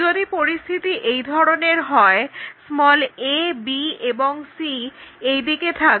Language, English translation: Bengali, If that is a situation we will have a, b and c will be in that way